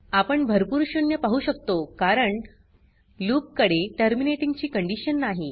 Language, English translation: Marathi, We can see number of zeros, this is because the loop does not have the terminating condition